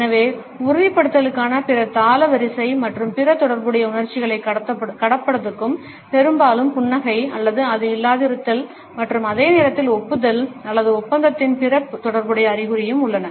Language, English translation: Tamil, So, this rhythmical queue for affirmation and for passing on other related emotions is also often accompanied by smiling or its absence and at the same time other related signs of approval or agreement